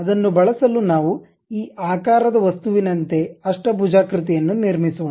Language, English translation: Kannada, To use that let us construct something like an object of this shape which is octagon